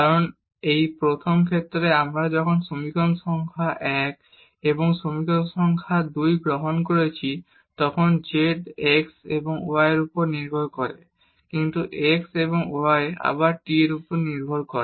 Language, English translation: Bengali, Because in this first case when we are taking equation number 1 and equation number 2 then this z depends on x and y, but the x and y again depends on t